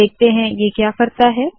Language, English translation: Hindi, Lets see what this does